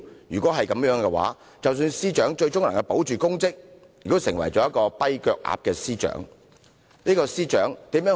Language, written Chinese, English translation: Cantonese, 若然如此，即使司長最終能夠保住公職，亦只會成為"跛腳鴨"司長。, If this is the case even if the Secretary for Justice can eventually secure her post she will only end up being a lame duck